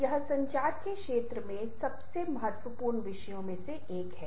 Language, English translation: Hindi, this is one of the most important topics in the area of communication